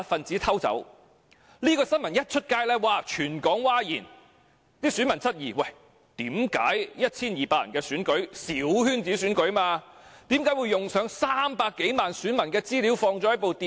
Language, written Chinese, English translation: Cantonese, 這宗新聞一經報道，全港譁然，選民質疑為何 1,200 人的小圈子選舉要動用內存300多萬名選民資料的電腦？, The entire Hong Kong was shocked when this news was reported . Voters questioned why computers containing the information of more than 3 million voters were necessary for a small - circle election of 1 200 people